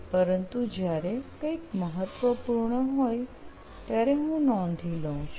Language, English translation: Gujarati, But when something is important, I do make it a point of noting it down